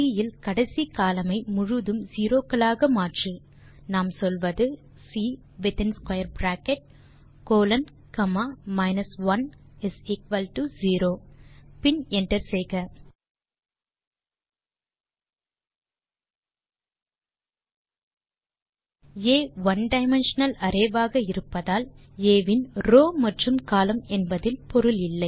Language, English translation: Tamil, To change the entire last column of C to zeros, we simply say, C in square bracket colon comma minus 1 = 0 and hit enter Since A is one dimensional, rows and columns of A dont make much sense